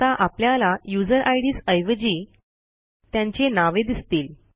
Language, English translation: Marathi, Now we can see the names of the users instead of their ids